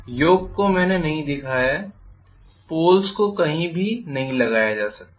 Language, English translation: Hindi, Yoke I have not shown the poles cannot be attached to nothing